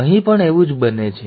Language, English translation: Gujarati, Same thing happens here